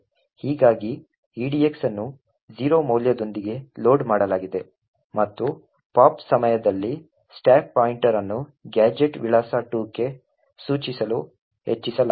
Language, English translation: Kannada, Thus, edx is loaded with a value of 0 and also during the pop a stack pointer is incremented to point to gadget address 2